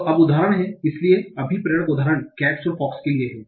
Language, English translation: Hindi, So the motivation example is for cats and fox